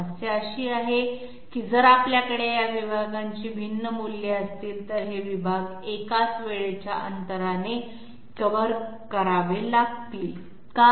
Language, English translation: Marathi, The problem is, if we have different values of these segments, these segments have to be you know covered in the same time intervals, why